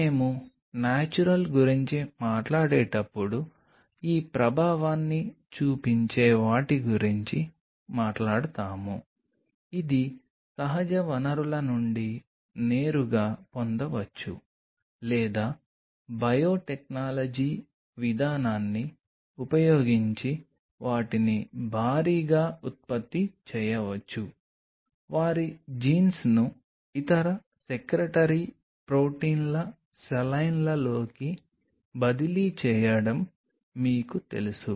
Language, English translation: Telugu, When we talk about Natural we will talk about the one which are known to show this effect either this could be obtained from natural sources directly or using biotechnological approach they could be produced in mass by you know transferring their jeans into some other secretary proteins saline’s where you can produce them